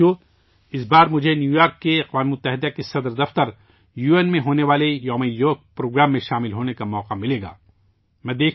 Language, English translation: Urdu, Friends, this time I will get the opportunity to participate in the Yoga Day program to be held at the United Nations Headquarters in New York